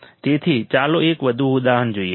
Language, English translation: Gujarati, So, let us see one more example